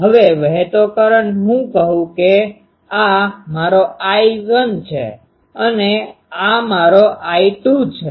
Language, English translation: Gujarati, Now, current flowing let me call that this is my, I 1 and this is my I 2